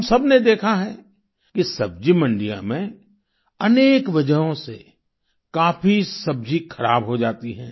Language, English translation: Hindi, All of us have seen that in vegetable markets, a lot of produce gets spoilt for a variety of reasons